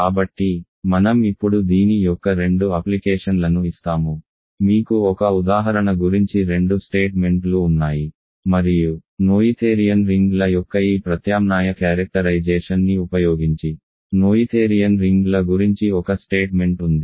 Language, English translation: Telugu, So, I will now give two applications of this you have two statements about one example and one statement about noetherian rings using this alternate characterization of noetherian rings